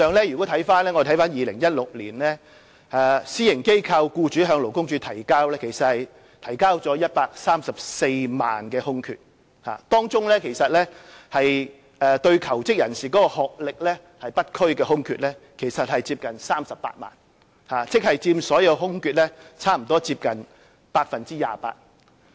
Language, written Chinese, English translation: Cantonese, 如果我們翻看2016年的資料，私營機構僱主向勞工處提交了134萬個職位空缺，當中對求職人士的學歷不拘的空缺接近38萬個，即佔所有空缺約 28%。, If we review the data for 2016 private sector employers submitted 1.34 million vacancies to LD . Among these vacancies close to 380 000 or 28 % did not require job seekers to possess specific academic qualifications